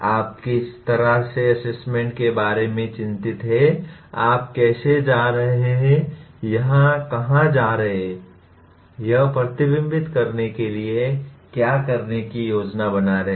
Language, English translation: Hindi, How do you in what way if you are concerned about the assessment, how are you going to where is it going to reflect, what are the planning to do